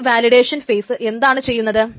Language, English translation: Malayalam, So how this validation phase actually does